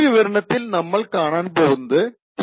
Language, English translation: Malayalam, c in this specific video we will be looking at T0